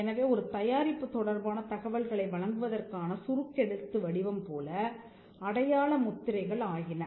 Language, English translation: Tamil, So, marks became a shorthand for supplying information with regard to a product